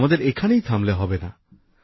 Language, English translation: Bengali, We must not stop here